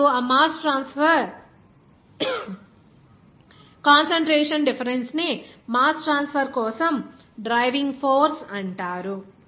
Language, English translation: Telugu, Now, these mass transfer concentration difference it is called the driving force for the mass transfer